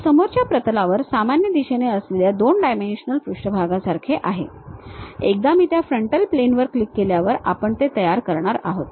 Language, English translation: Marathi, This is more like our 2 dimensional page on frontal plane in the normal direction, once I click that frontal plane we are going to construct